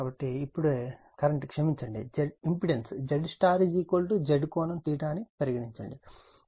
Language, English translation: Telugu, So, now angle the current sorry the impedance Z y is equal to Z theta say